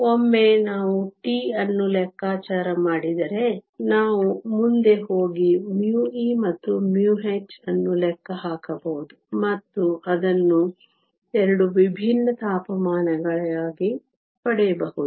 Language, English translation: Kannada, Once we calculate tau, we can go ahead and calculate mu e and mu h and get it for the 2 different temperatures